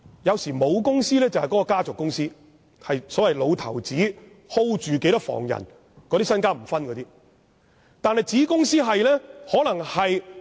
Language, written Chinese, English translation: Cantonese, 有時候，母公司是家族公司，例如一位老頭子有若干房人，他是不會分配財產的。, Sometimes a parent company is the family company . For instance an old man has a number of branches in his family and he will not distribute his wealth